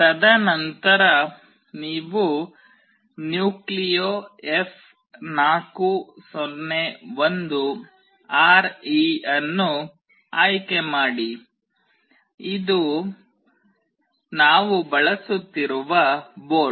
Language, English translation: Kannada, And then you select NucleoF401RE; this is the board that we are using